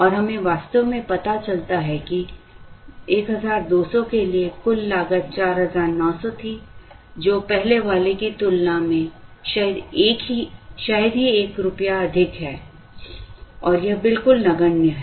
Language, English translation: Hindi, And we actually realize that, for 1200, the total cost was 4900, which is hardly a rupee more than the earlier one and it is absolutely negligible